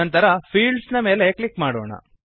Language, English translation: Kannada, Then click on the Fields option